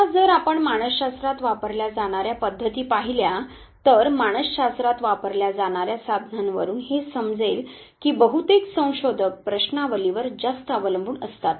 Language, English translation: Marathi, Now if you look at the methods used in psychology, the tools that are used in psychology would realize that most of the researchers heavily depend on questionnaires